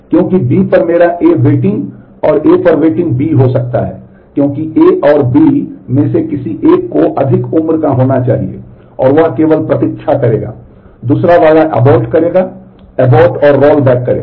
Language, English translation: Hindi, Because my A waiting on B, and B waiting on A, cannot happen because out of A and B one must be older has to be older, and that only will wait, the other one will abort, abort and roll back on